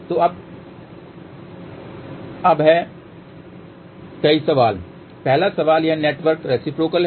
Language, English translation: Hindi, So, there are now, several questions, the first question is is this network reciprocal